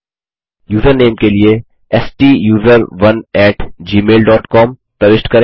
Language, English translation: Hindi, Enter the Username as STUSERONE at gmail dot com